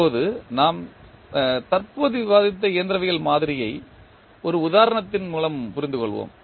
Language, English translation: Tamil, Now, let us understand the model, mechanical model which we just discussed with the help of one example